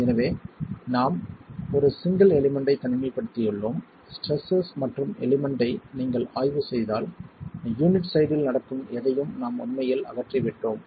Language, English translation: Tamil, So we are isolated one single element and if you examine the stresses and the element we have actually eliminated anything that is happening on the sides of the unit